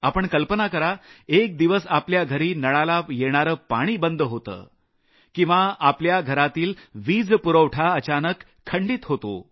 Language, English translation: Marathi, Just imagine, if the water in your taps runs dry for just a day, or there is a sudden power outage in your house